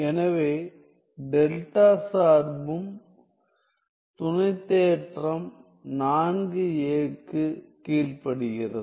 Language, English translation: Tamil, So, the delta function also obeys are corollary 4a